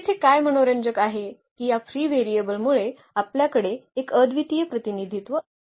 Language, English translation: Marathi, What is interesting here that we have a non unique representation because of this free variable